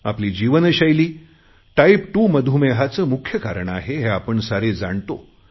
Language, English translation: Marathi, We all know that our lifestyle is the biggest cause for Diabetes